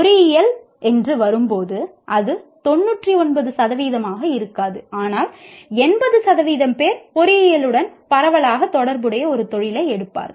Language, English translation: Tamil, When it comes to engineering, it may not be 99% but 80% will take a profession that is broadly related to engineering